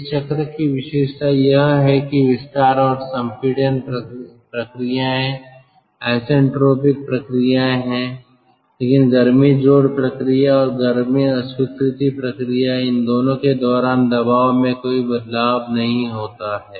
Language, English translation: Hindi, the feature of this cycle is that the ah expansion and compression processes are isentropic processes, but the heat addition process and heat rejection process are constant pressure processes